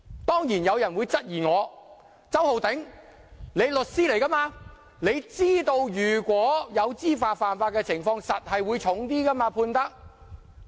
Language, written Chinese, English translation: Cantonese, 當然，有人會質疑我："周浩鼎，你是律師，你知道如果有知法犯法的情況，法庭一定會判得較重。, Of course some people may question me and say Holden CHOW you as a lawyer should know that for cases in which the accused knowingly broke the law the Court will definitely hand down heavier punishments